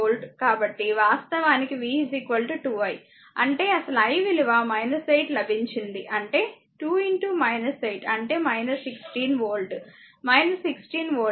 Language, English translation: Telugu, So, v is equal to actually 2 i v is equal to 2 i ; that means, actually original i I got minus 8 that is 2 into minus 8 , that is minus 16 volt, right minus 16 volt